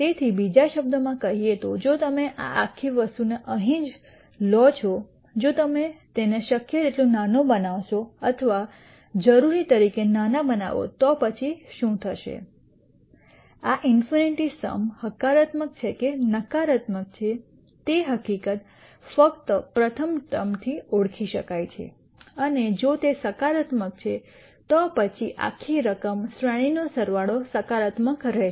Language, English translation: Gujarati, So, in other words if you take this whole thing right here if you keep making this as small as possible or as small as needed then what will happen is, the fact that whether this in nite sum is positive or negative can be identified only by the first term and if that is positive then the whole sum series sum is going to be positive and so on